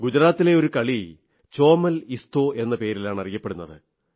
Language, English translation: Malayalam, I known of a game played in Gujarat called Chomal Isto